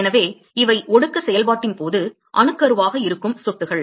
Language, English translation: Tamil, So, these are drops which nucleated during the condensation process